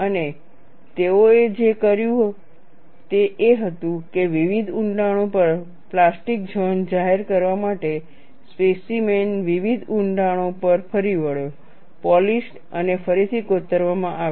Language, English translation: Gujarati, And what they had done was to reveal plastic zone at various depths, the specimen is reground to various depths, polished and re etched